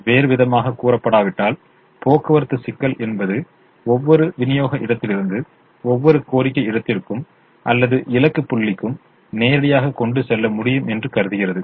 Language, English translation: Tamil, unless otherwise stated, the transportation problem assumes that it is possible to transport from every supply point to every demand point or destination point directly